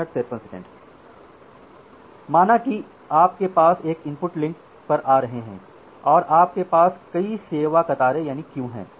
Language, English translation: Hindi, Say your packets are coming to an input link and you have multiple service queues